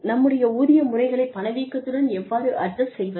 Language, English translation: Tamil, How do we adjust our pay systems, to inflation